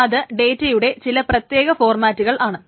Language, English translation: Malayalam, These are certain formats of data